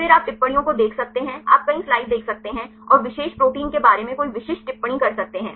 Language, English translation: Hindi, Then you can see remarks you can see the several references and there are any specific remarks about the particular protein